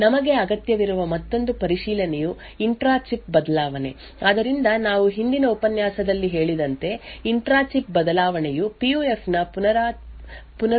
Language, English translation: Kannada, Another check which we also require was the intra chip variation, so as we mentioned in the previous lecture the intra chip variation shows the reproducibility or the robustness of a PUF